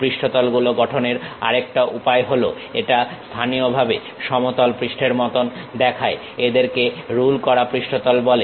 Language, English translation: Bengali, The other way of constructing surfaces, it locally looks like plane surfaces are called ruled surfaces